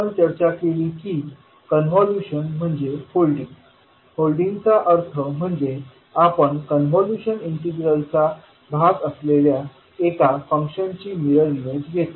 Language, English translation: Marathi, We discussed that convolution is nothings but holding, holding means we take the mirror image of one of the function which will be part of the convolution integral